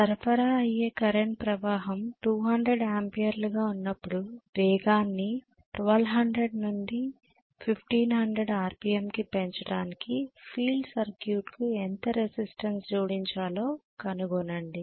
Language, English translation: Telugu, Find what resistance must be added to the field circuit to increase the speed from 1200 to 1500 revolutions per minute when the supply current is 200 amperes